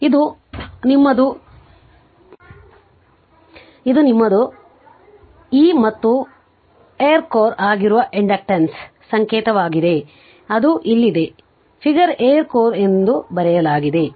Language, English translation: Kannada, This one your this one your e this is the sign of inductor when it is air core it is here it is written figure a air core